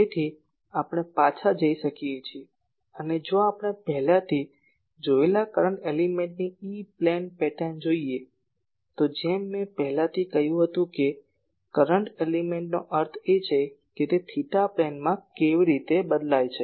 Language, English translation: Gujarati, So, we can go back and , if we look at the e plane pattern of the current element that we have already seen , as I already said the current element means that in the theta plane how it is varying